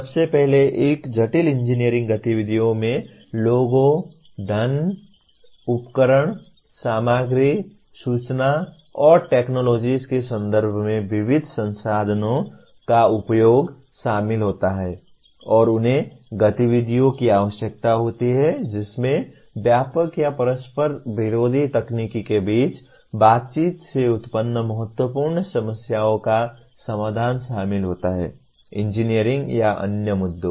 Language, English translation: Hindi, First of all, a complex engineering activity involves use of diverse resources, resources in terms of people, money, equipment, materials, information and technologies and they require the activities involve resolution of significant problems arising from interactions between wide ranging or conflicting technical, engineering or other issues